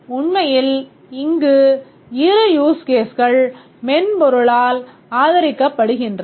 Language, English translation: Tamil, Actually there are two huge cases here supported by the software